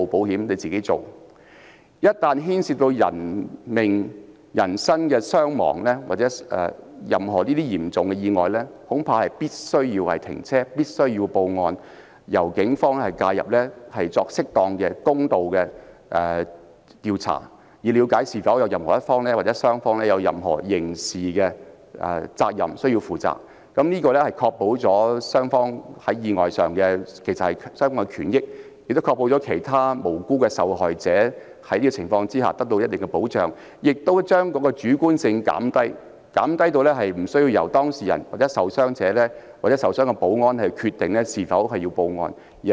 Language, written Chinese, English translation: Cantonese, 然而，一旦牽涉人命傷亡，發生任何嚴重意外則必須停車報案，由警方介入作適當和公道的調查，以了解是否有其中一方或雙方需要負上任何刑事責任，從而確保雙方在意外中的權益，亦確保其他無辜受害者在這種情況下得到一定的保障，並且減低主觀性，無須由當事人、傷者或受傷的保安員決定是否需要報案。, Everything should be settled on their own with minimal disruption to the ongoing traffic . However in a serious accident with personal injury or fatality the drivers concerned must stop their vehicles and make a report to the Police which would in turn conduct a proper and fair investigation in determining whether one or both parties have to assume criminal liability . This can safeguard the rights and interests of both parties in the accident provide the innocent victims with a degree of protection under the circumstances and minimize subjectiveness by taking the decision of whether to make a report to the Police out of the hands of the parties involved the casualties or the injured security personnel